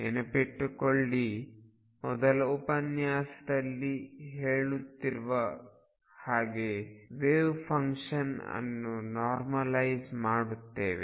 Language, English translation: Kannada, So, remember from the first lecture this week there are saying that we are going to demand that the wave function being normalize